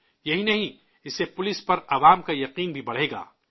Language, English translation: Urdu, Not just that, it will also increase public confidence in the police